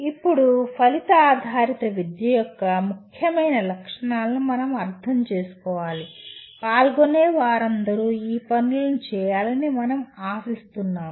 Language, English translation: Telugu, Now, we to understand the important features of outcome based education we expect all the participants to do these assignments